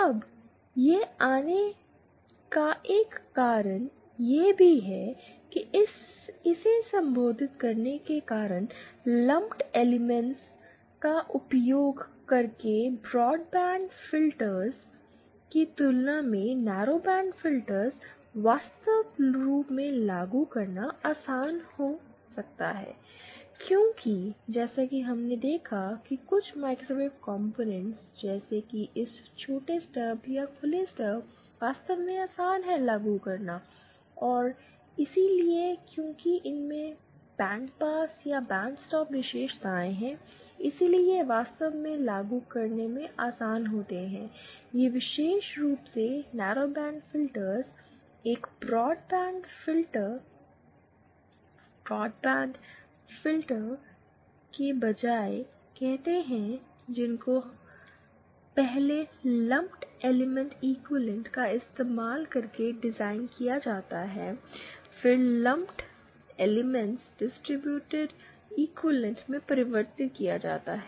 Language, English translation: Hindi, Now, coming this also gives a reason why address it, narrowband filters might actually be easier to implement than say broadband filters using lumped elements, the reason is that as we saw that certain microwave components like this shorted stub or open stub are actually easier to implement and hence and because these have a bandpass or bad stock characteristics, so they are actually easier to implement, these particular narrowband filters than say a broadband filter which has to be 1st designed using the lumped element equivalent and then of course lumped elements have to be converted into their distributed equivalent